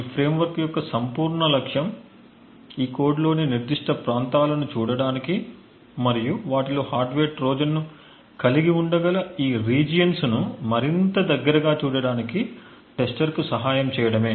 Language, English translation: Telugu, The whole objective of this framework is to aid the whole objective of this entire framework is to aid the tester to look at particular regions in this code and look more closely at these regions which could potentially have a hardware Trojan in them